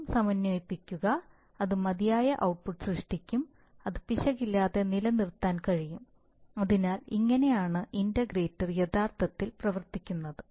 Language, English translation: Malayalam, And again integrate, integrate, integrate, and it will generate it just enough output such that it can be, it can be sustained without the error, so you see that the integrator is actually, the integrator actually works as